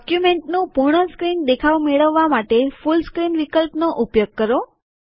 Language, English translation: Gujarati, Use the Full Screenoption to get a full screen view of the document